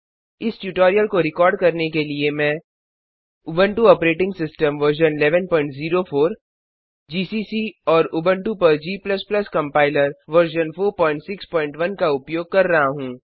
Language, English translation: Hindi, To record this tutorial, I am using Ubuntu Operating System version 11.04 gcc and g++ Compiler version 4.6.1 on Ubuntu